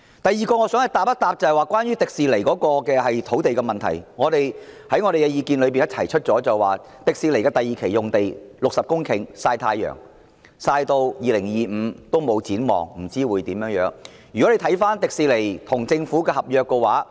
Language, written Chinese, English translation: Cantonese, 第二，我想回應關於迪士尼樂園的土地問題，我們提出的意見是，樂園合共60公頃的第二期用地正在曬太陽，直至2025年也沒有任何展望，不知道將會如何發展。, Second I would like to respond in relation to the site at the Hong Kong Disneyland HKDL . Our view is that the Phase 2 Site of HKDL with a total area of 60 hectares is doing sunbathing now and there is no plan for it up till 2025 but how it will be developed is an unknown